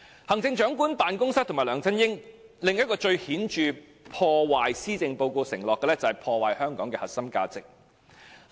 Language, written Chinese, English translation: Cantonese, 行政長官辦公室及梁振英另一個破壞施政報告承諾的最顯著行為，就是破壞香港的核心價值。, Another brazen act of vandalizing the pledges made in the Policy Address committed by the Chief Executives Office and LEUNG Chun - ying is the destruction of the core values of Hong Kong